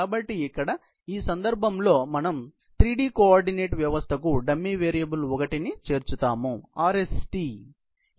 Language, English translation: Telugu, So, here in this case, we just add a dummy variable 1 to the three dimensional coordinate system that is there, RST